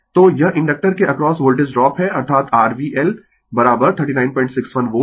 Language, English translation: Hindi, So, this is the Voltage drop across the inductor that is your V L is equal to 39